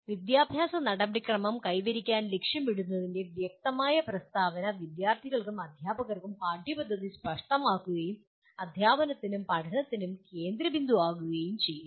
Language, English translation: Malayalam, An explicit statement of what the educational process aims to achieve clarifies the curriculum for both the students and teachers and provide a focus for teaching and learning